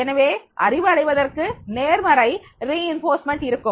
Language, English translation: Tamil, So to acquire the knowledge, there will be positive reinforcement